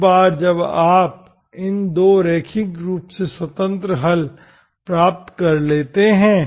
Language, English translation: Hindi, And these are 2 linearly independent solutions